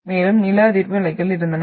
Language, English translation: Tamil, So further I had seismic waves